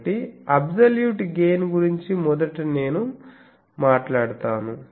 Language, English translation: Telugu, So absolute gain first I will talk about